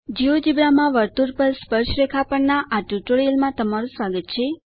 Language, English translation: Gujarati, Hello Welcome to this tutorial on Tangents to a circle in Geogebra